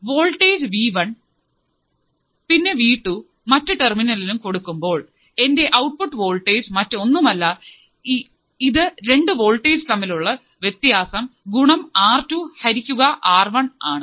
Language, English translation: Malayalam, Voltage v1 and here, v2 at the another terminal, my output voltage would be nothing but the difference of the voltage into R2 by R1